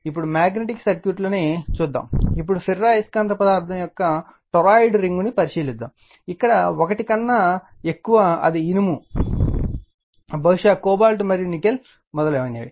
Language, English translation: Telugu, Now, magnetic circuits, now, you consider let us consider a toroidal ring of ferromagnetic material, where mu greater than 1, it maybe iron, it maybe cobalt, and nickel etc right